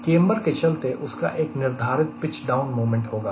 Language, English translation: Hindi, because of camber it will have a natural pitching pitch down moment